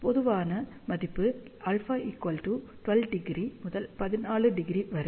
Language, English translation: Tamil, Typical value of alpha should be taken between 12 to 14 degree